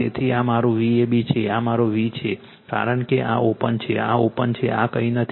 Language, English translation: Gujarati, So, this is my VAB this is my v , because this is open this is open this is nothing is there